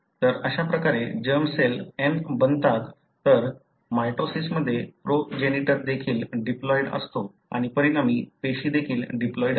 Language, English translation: Marathi, So, that is how the germ cells become n, whereas in mitosis, the progenitor is also diploid and the resulting cell also is diploid